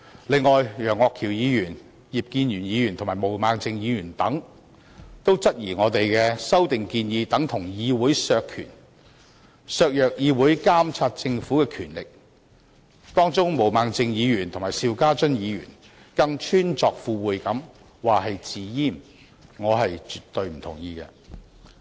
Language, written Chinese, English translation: Cantonese, 此外，楊岳橋議員、葉建源議員、毛孟靜議員等質疑我們的修訂建議等同議會削權、削弱議會監察政府的權力，當中毛孟靜議員和邵家臻議員更穿鑿附會地說成是"自閹"，我絕對不同意他們的說法。, In addition Members including Mr Alvin YEUNG Mr IP Kin - yuen and Ms Claudia MO contend that our proposed amendments amount to reducing the legislatures powers and undermining its power to monitor the Government . Ms Claudia MO and Mr SHIU Ka - chun even drew a far - fetched analogy between our proposed amendments and self - castration . I definitely disagree with them